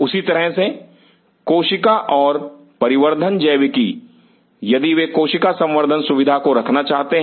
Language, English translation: Hindi, Similarly, cell and development biology, if they want to have a cell culture facility